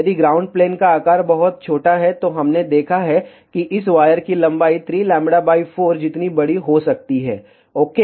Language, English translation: Hindi, If the ground plane size is very very small, we have seen that this wire length may be as large as 3 lambda by 4 ok